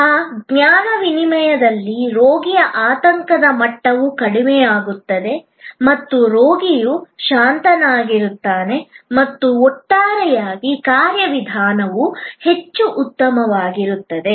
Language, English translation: Kannada, In that knowledge exchange, the anxiety level of the patient will come down and that the patient is calm and the patient is switched, on the whole the procedure will go much better